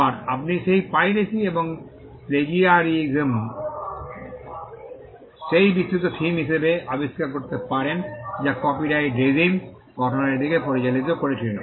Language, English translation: Bengali, Again, you will find that piracy and plagiarism as the broad themes that led to the creation of the copyright regime